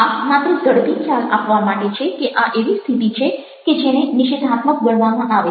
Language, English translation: Gujarati, this is just to give an quick idea that these can be postures that can be considered negative